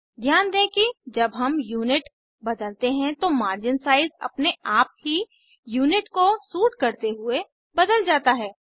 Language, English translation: Hindi, Note that when we change the Unit, margin sizes automatically change to suit the Unit